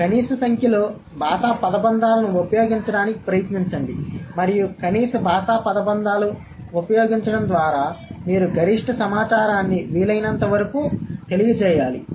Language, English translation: Telugu, And using minimum number of linguistic phrases, you should convey the maximum information as much as possible